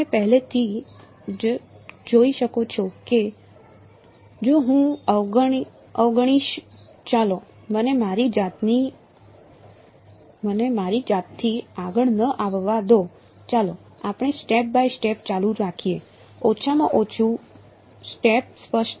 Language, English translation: Gujarati, You can already see that if I ignore the well; let me not get ahead of myself let us continue step by step ok, at least the setup is clear